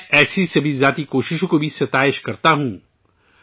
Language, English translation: Urdu, I also appreciate all such individual efforts